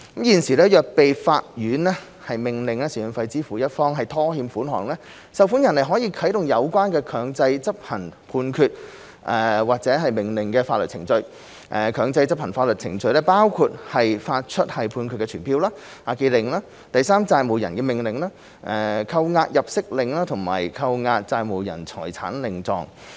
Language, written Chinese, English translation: Cantonese, 現時，倘若被法院命令支付贍養費的一方拖欠款項，受款人可啟動有關強制執行判決或命令的法律程序，強制執行法律程序包括發出判決傳票、押記令、第三債務人的命令、扣押入息令和扣押債務人財產令狀。, Currently if the paying party who is ordered by the Court to make maintenance payments is in default the receiving party may take out enforcement proceedings to enforce the judgment or order . The enforcement proceedings include Judgment Summons Charging Orders Garnishee Orders AIOs and Writs of Fieri Facias